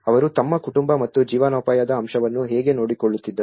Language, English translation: Kannada, How they were looking after their family and the livelihood aspect